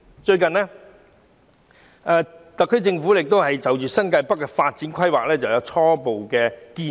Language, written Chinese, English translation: Cantonese, 最近，特區政府就新界北的發展規劃提出初步建議。, Recently the SAR Government has put forward a preliminary proposal on the development plan for New Territories North